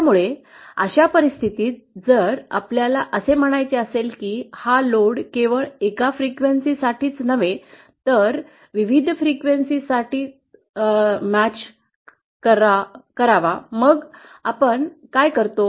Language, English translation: Marathi, So in that cases if we want to say match this load for a wide range of frequencies, not just for a single frequency; then what do we do